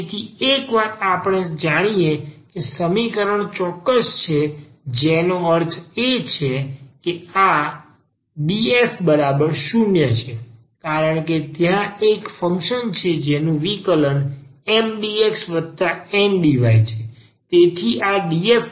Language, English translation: Gujarati, So, once we know that the equation is exact that means, this df is equal to 0 because there is a function f whose differential is this Mdx plus Ndy